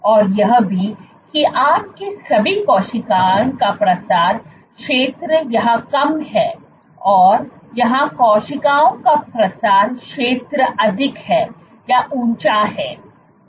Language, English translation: Hindi, And also, first of all your cells spreading area is low here and here cells spreading area is high; is high